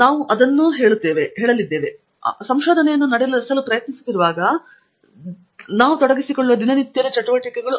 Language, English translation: Kannada, We will also touch up on those because those are the day to day things that we get involved in as we try to carry out a research